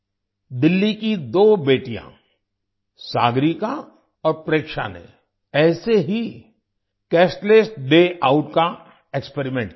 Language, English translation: Hindi, Two daughters of Delhi, Sagarika and Preksha, experimented with Cashless Day Outlike this